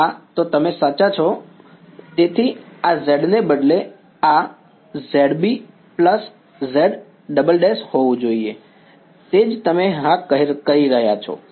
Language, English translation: Gujarati, Yeah, so you are right; so, this instead of z this should be z B plus z double prime that is what you are saying yeah